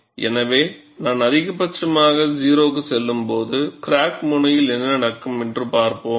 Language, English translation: Tamil, So, when I go to 0 to maximum, we would see what happens at the crack tip